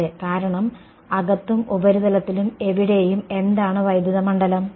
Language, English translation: Malayalam, Yes, that because any where inside and on the surface what is the electric field